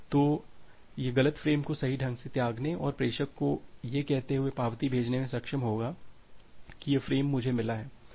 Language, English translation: Hindi, So, it will be able to discard the wrong frames correctly and send an acknowledgement to the sender saying that this frames I have received